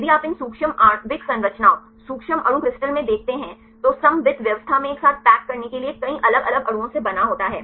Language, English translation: Hindi, If you look in to these micro molecular structures micro molecule crystal there composed of many individual molecules to packed together in the symmetrical arrangement